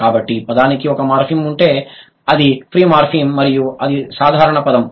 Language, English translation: Telugu, So, if the word has only one morphem, it is a free morphem and that is a simple word